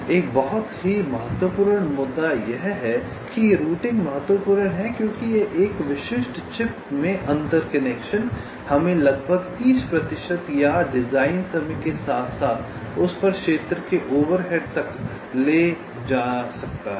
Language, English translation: Hindi, ok, now, one very important issue is that routing is important because inter connections in a typical chip can take us to an overrate of almost thirty percent, or even more of the design time as well as the area over it